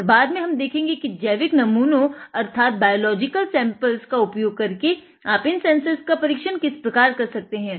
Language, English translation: Hindi, And later on we will see how these sensors can be tested with biological samples